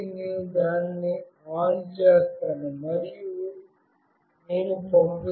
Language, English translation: Telugu, So, I will just ON it and I will just send